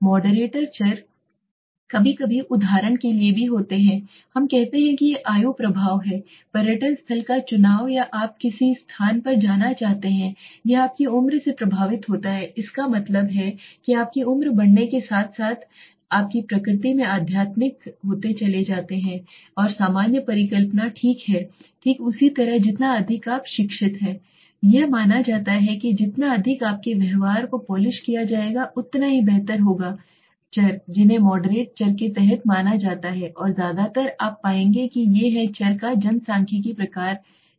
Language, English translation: Hindi, Moderator variable are sometimes also there for example we say that age age effect the choice of a tourist destination or a what place you want to visit is affected by your age so that means age moderates the more you grow in age your age grows you tend to become more spiritual in nature let us say that is general hypothesis okay similarly the more educated you are it is assume that the more the better the polished your behavior would be so these are the variables which are considered under the moderating variables and mostly you will find these are the demographic kind of a variables okay